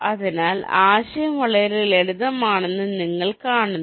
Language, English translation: Malayalam, see, the idea is simple